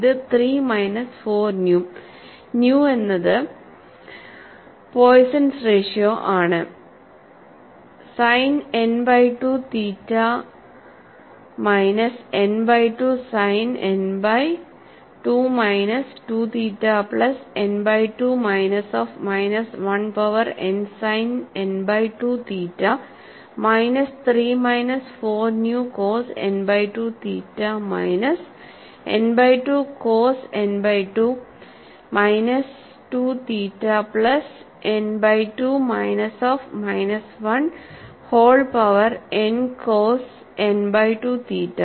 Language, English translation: Malayalam, 1 by 2 G of A 1 n r power n by 2 multiplied by 3 minus four nu cos n by 2 theta minus n by 2 cos n by 2 minus 2 theta plus n by 2 plus minus 1 whole power n multiplied by cos n by 2 theta; the v component you have this as, 3 minus four nu sin n by 2 theta plus n by 2 sin n by 2 minus 2 theta minus of n by 2 plus minus 1 whole power n multiplied by sin n by 2 theta